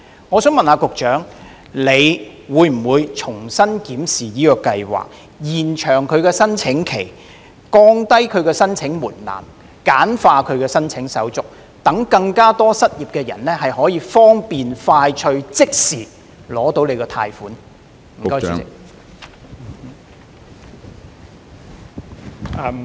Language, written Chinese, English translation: Cantonese, 我想問局長會否重新檢視這項計劃，延長計劃的申請期，降低申請門檻及簡化申請手續，讓更多失業人士可以方便快捷地即時獲取計劃的貸款？, May I ask whether the Secretary will review PLGS; extend its application period; lower the application threshold and streamline its application procedures so that more unemployed persons can obtain loans conveniently and quickly?